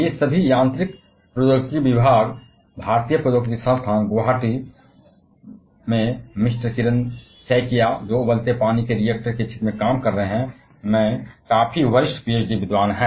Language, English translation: Hindi, All of them are quite senior PhD scholar in the department of mechanical engineering, IIT Guwahati, Mister Kiran Saikia who is working in the field of boiling water reactors